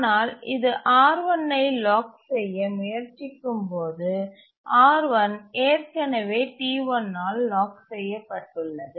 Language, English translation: Tamil, And as it tries to lock R1, R1 is already locked by T1 and that's the deadlock situation